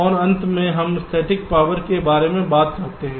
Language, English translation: Hindi, ok, and lastly, we talk about static power